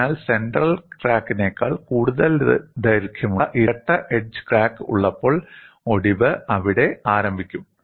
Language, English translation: Malayalam, So, it is obvious to expect, when I have double edge crack longer than the central crack, fracture would initiate there